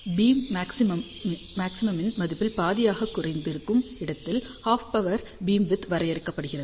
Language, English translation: Tamil, So, half power beamwidth is defined where beam maxima reduces to half of its value